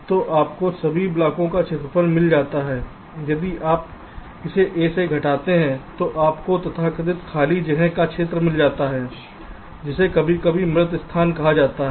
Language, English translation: Hindi, if you subtract that from a, you get the area of the, of the so called unoccupied space, which is sometimes called dead space